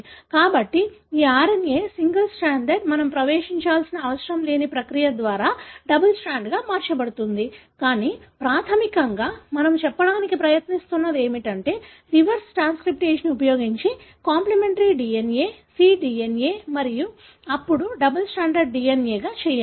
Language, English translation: Telugu, So, this DNA, single stranded, can be converted into double stranded by a process which we need not get into, but basically what we are trying to say is that we can use the reverse transcriptase to make the complimentary DNA, which is cDNA and then make into double stranded DNA